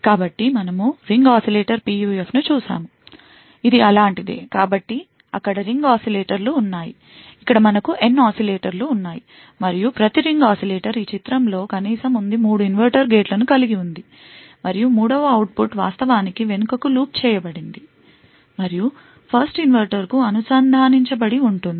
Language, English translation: Telugu, So recollect that we actually looked at Ring Oscillator PUF which was something like this, so there were a series of ring oscillators, over here we had N oscillators and each ring oscillator had in this figure at least has 3 inverter gates, and output of the 3rd one is actually looped back and connected to the 1st inverter